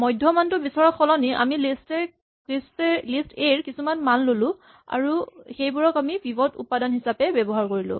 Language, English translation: Assamese, Instead of looking for the median we just pick up some value in the list A, and use that as what is called a pivot element